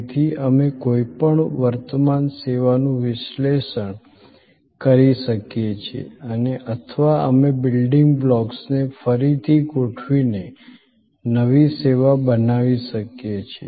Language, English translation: Gujarati, So, that we can analyze any existing service or we can create a new service by rearranging the building blocks